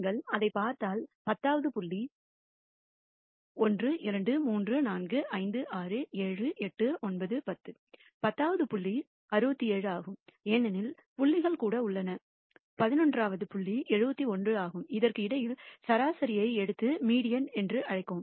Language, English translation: Tamil, And if you look at it the tenth point 1, 2, 3, 4, 5, 6, 7, 8, 9, 10; tenth point is 67 because there are even number of points, the eleventh point is 71 and you take the average between this and call that the median